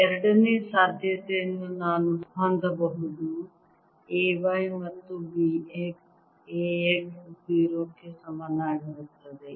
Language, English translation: Kannada, second possibility: i can have a y equals b x, a x equal to zero